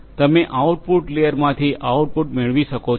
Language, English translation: Gujarati, You can get the output from the output layer